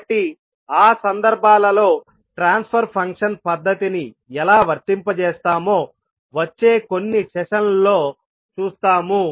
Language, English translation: Telugu, So, we will see in next few sessions that the, how will apply transfer function method in those cases